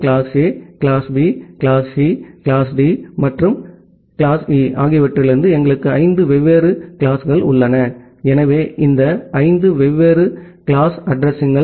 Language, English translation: Tamil, And we have five different classes from class A, class B, class C, class D, and class E, so this five different classes of addresses